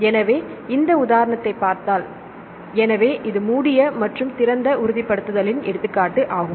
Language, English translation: Tamil, So, this is the example of the closed and opened confirmation